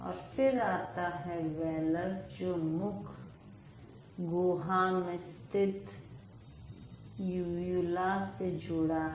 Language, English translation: Hindi, And then you have the wheeler, wheeler which is related to the uvula, inside the mouth cavity